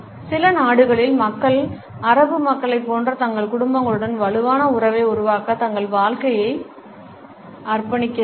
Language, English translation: Tamil, In some countries people dedicate their lives to build a strong relationship with their families like the Arabic people